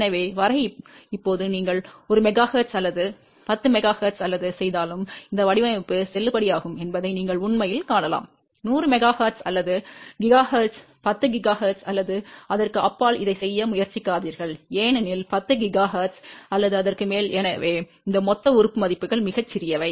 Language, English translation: Tamil, So, till now, you can actually see that this design is valid whether you do at 1 megahertz or 10 megahertz or 100 megahertz or a 1 gigahertz; do not try to do this at 10 gigahertz or beyond because beyond 10 gigahertz or so, these lumped element values are very very small